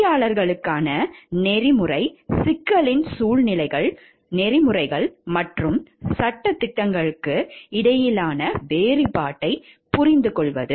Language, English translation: Tamil, Situations of ethical issues for engineers, understanding the distinction between ethics morals and laws